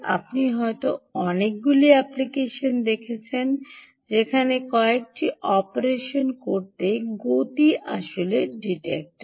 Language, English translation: Bengali, you might have seen many, many applications where motion is actually detector, to do a few operations